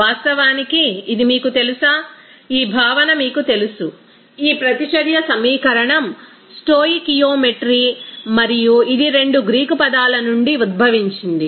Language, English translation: Telugu, And did actually this you know that concept of this you know that reaction equation that is stoichiometry and it originates from two Greek words